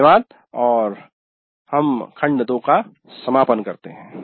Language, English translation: Hindi, Thank you and we come to the end of module 2